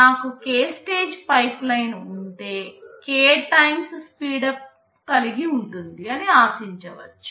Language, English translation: Telugu, If I have a k stage pipeline, I can expect to have k times speedup